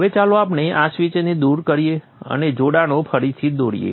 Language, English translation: Gujarati, Now let us remove this switch and redraw the connections